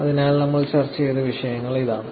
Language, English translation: Malayalam, So, this is the topics that we covered